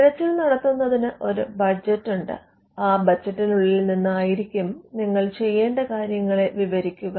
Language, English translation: Malayalam, So, there is a budget for the search, and you will describe within that budget what needs to be done